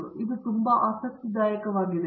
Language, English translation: Kannada, Now this is very interesting